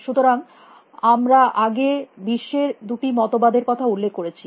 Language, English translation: Bengali, So, we have mention earlier that there are two views of the world